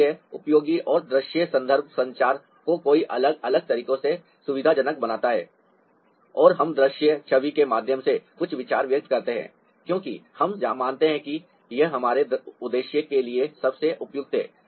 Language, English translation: Hindi, so this is useful, and visual references makes communication convenient ah in many different ways, and we express some ideas through visual image because we consider it is to be the most suitable for our purpose